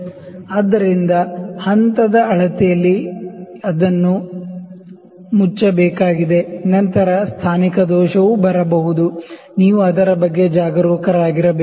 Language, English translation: Kannada, So, in step measurement it has to be closed then positional error could also come you have to be careful about that